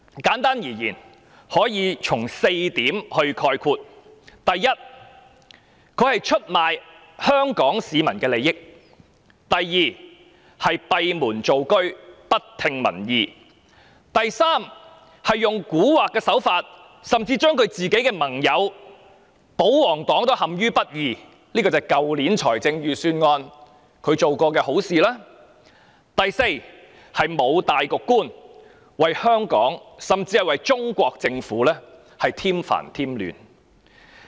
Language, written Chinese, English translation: Cantonese, 簡單而言，我以下列4點概括：第一，她出賣香港市民的利益；第二，她閉門造車，不聽民意；第三，她手法狡猾，甚至不惜讓盟友保皇黨陷於不義，所指的是她在去年財政預算案中所作的好事；第四，她沒有大局觀，為香港甚至為中國政府添煩添亂。, I can summarize them simply into the following four points Firstly she has betrayed the interests of Hong Kong people; secondly she has done her job behind closed doors without regard for public opinions; thirdly she has employed sly tricks in the Budget last year and has even gone so far as to do injustice to the royalists her allies; fourthly she has no vision at all and has brought Hong Kong and even the Central Government worries and trouble